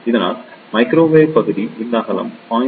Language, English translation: Tamil, So, therefore, microwave region this width should be between 0